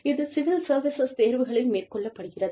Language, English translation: Tamil, This is done, in the civil services examinations